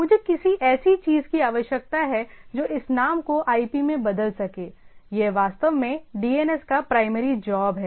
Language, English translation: Hindi, So, I require somebody who can convert this name to IP, that exactly the job of the primary job of DNS